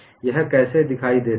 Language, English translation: Hindi, How does this appear